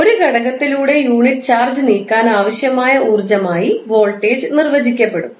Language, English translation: Malayalam, Voltage will be defined as the energy required to move unit charge through an element